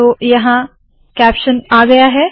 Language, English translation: Hindi, So the caption has come